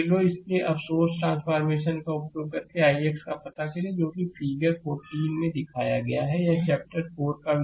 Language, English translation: Hindi, So, now, using source transformation determine i x in the circuit your shown in figure this 14 that is it is chapter topic 4